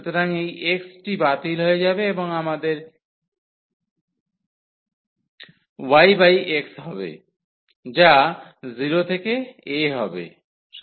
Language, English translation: Bengali, So, this x will get cancel and we have tan inverse y over x, which will be 0 to a